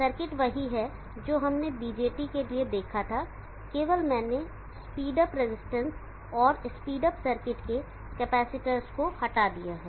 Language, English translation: Hindi, Circuit is similar to what we saw for the BJT only have removed the speed up resistance and capacitors of the speed up circuit is removed